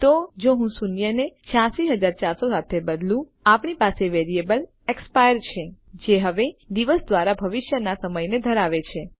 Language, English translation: Gujarati, So if I replace zero with 86400, we have the variable expire that now holds the time in the future by a day